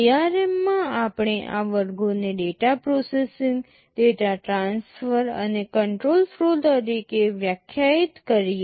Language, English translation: Gujarati, In ARM let us define these categories as data processing, data transfer and control flow